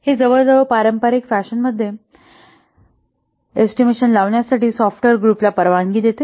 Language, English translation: Marathi, It permits the software group to estimate in an almost traditional fashion